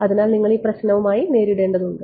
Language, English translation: Malayalam, So, that is why you have to live with this problem